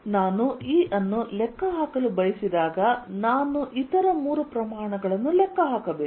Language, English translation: Kannada, therefore, whenever i wanted to calculate e, i have to calculate three quantities